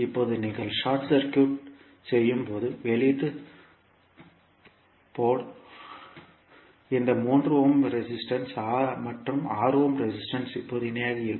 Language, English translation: Tamil, Now when you short circuit the output port these 3 ohm and 6 ohm resistance will now be in parallel